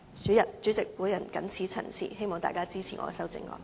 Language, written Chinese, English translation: Cantonese, 代理主席，我謹此陳辭，希望大家支持我的修正案。, Deputy President with these remarks I hope Members will support my amendment